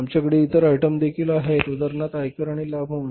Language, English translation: Marathi, We have other items also say for example income tax and dividend